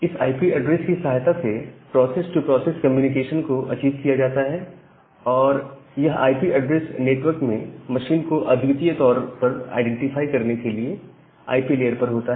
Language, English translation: Hindi, So, this process to process communication is achieved with the help of this IP address, which is there at the IP layer to uniquely identify a machine in the network